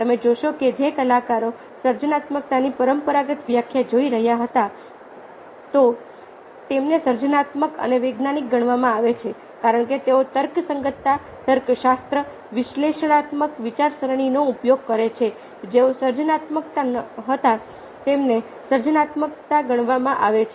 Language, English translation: Gujarati, you see that ah a artists were, if you are looking at the traditional definition of creativity, considered creative ah and scientists, because they use rationality, logic, analytical thinking and not creative, considered creative